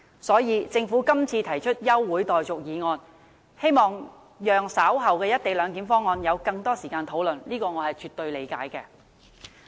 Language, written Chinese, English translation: Cantonese, 所以，政府今次提出休會待續的議案，希望讓議員稍後有更多時間討論"一地兩檢"方案，對此我是絕對理解的。, Therefore I definitely understand that the Government moves the adjournment motion to allow more time for Members to discuss the motion on the co - location arrangement later